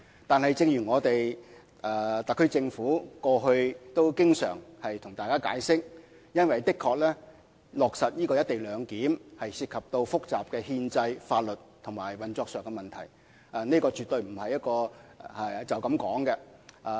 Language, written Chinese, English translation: Cantonese, 但是，正如特區政府過去也經常向大家解釋，落實"一地兩檢"的確涉及複雜的憲制、法律及運作上的問題，這絕對不是簡單說說便可解決的。, But as the SAR Government has always said in its explanations to Members the implementation of the co - location arrangement indeed involves complicated constitutional legal and operational issues which absolutely cannot be resolved by brief discussions